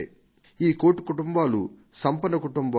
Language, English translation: Telugu, These one crore are not wealthy families